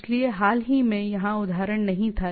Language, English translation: Hindi, So, recently here the example was not there